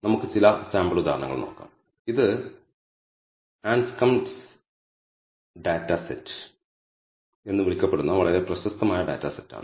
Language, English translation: Malayalam, So, let us look at some sample examples this is a very famous data set called the Anscombe’s data set